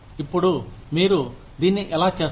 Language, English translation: Telugu, Now, how do you do this